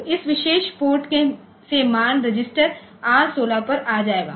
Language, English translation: Hindi, So, from this particular port the value will come to the register R16